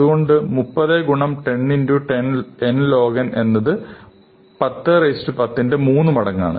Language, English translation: Malayalam, So, 30 into 10 to the 9 n log n is 3 times 10 to the 10